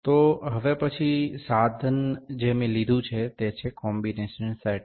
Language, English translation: Gujarati, So, next instrument I have picked here is the combination set